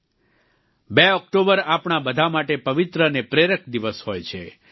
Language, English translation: Gujarati, 2nd of October is an auspicious and inspirational day for all of us